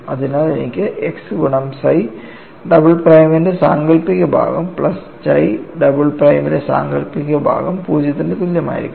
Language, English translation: Malayalam, So, I get a requirement x imaginary part of psi double prime plus imaginary part of chi double prime should be equal to 0